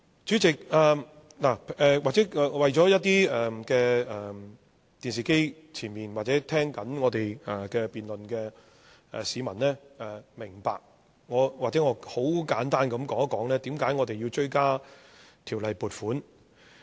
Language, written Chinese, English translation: Cantonese, 主席，為了令一些在電視機前面或正在聽我們辯論的市民明白，也許我很簡單地說一說為何要追加撥款。, President to make the public watching the debate on television or listening to the broadcast understand the case please allow me to give a brief account of the reasons for making supplementary appropriation